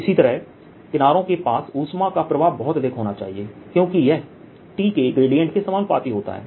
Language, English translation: Hindi, similarly, the heat flow should be very strong near the edges because it is proportional grate of t to